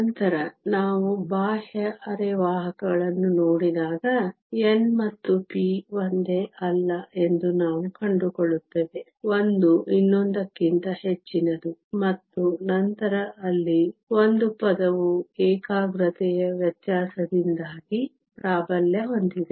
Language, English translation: Kannada, Later when we see an extrinsic semiconductor, we will find that n and p are not the same; one is much higher than the other, and then there one of the term dominates because of the difference in concentration